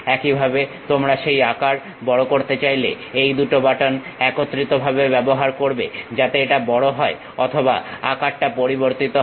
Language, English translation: Bengali, Similarly, you want to increase that size use these two buttons together, you press them together so that it enlarges or change the size